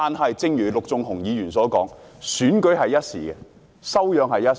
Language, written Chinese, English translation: Cantonese, 可是，正如陸頌雄議員所說，選舉是一時，修養卻是一世。, However just like what Mr LUK Chung - hung said while an election is just a passing occasion our character is something that lasts a lifetime